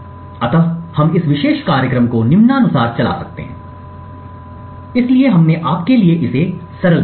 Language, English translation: Hindi, So we could run this particular program as follows, so we have simplified it for you